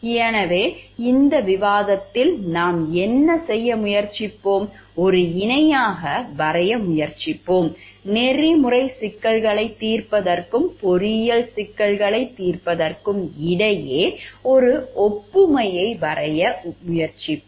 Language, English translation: Tamil, So, here what in this discussion what we will try to do, we will try to draw a parallel will try to draw an analogy between ethical problem solving and engineering problem solving